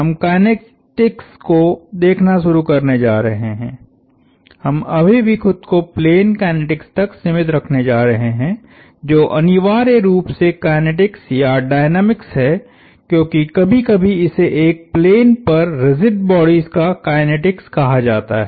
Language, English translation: Hindi, We are going to start looking at kinetics, we are still going to restrict ourselves to plane kinetics, which is essentially kinetics or dynamics as it is sometime called kinetics of rigid bodies on a plane